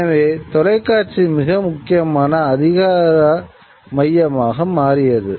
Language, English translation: Tamil, So, television became a very important sort of center of power, right